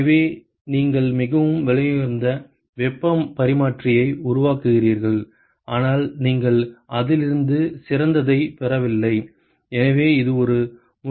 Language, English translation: Tamil, So, you will end up making a very expensive heat exchanger, but you are just not getting the best out of it, so that is an important point